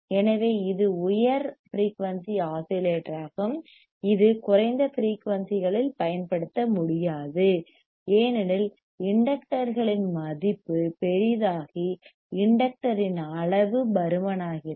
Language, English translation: Tamil, So, it is high frequency right its high frequency oscillator; so, we, which cannot be used in low frequencies, ais value of inductors become large,r size of inductor becomes bulky correct